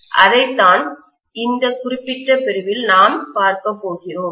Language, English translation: Tamil, That’s what we are going to look at in this particular section